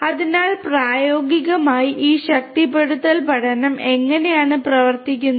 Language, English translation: Malayalam, So, this is basically how this reinforcement learning in practice is going to work